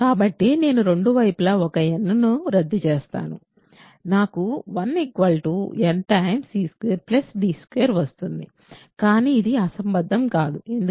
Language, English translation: Telugu, So, I can cancel n 1 n in both sides I get 1 equals n times c squared plus d squared, but this is not a this is absurd, why